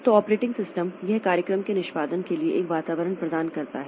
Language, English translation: Hindi, So, operating system it provides an environment for execution of programs